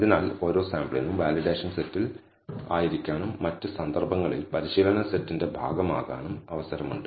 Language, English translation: Malayalam, So that every sample has a chance of being in the validation set and also be being part of the training set in the other cases